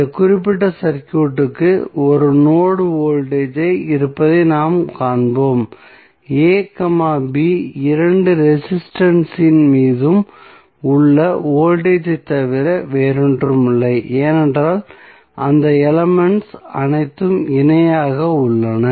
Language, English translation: Tamil, We will see that this particular circuit has 1 node the voltage across this particular circuit a, b would be nothing but the voltage across both of the resistances also because all those elements are in parallel